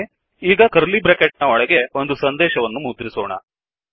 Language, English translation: Kannada, Alright now inside the curly brackets, let us print a message